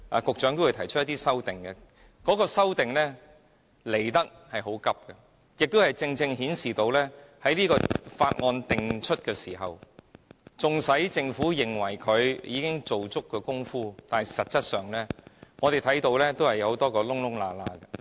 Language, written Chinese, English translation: Cantonese, 局長稍後會提出修正案，但修正案提得很倉卒，這正正顯示出，在《條例草案》訂出後，即使政府認為已做足工夫，但實際上，我們仍發現很多漏洞。, The Secretary will propose amendments later but in a rather hasty manner . This precisely illustrates the fact that after the Bill is written we can still find a lot of loopholes in it even though the Government thinks it has done its part well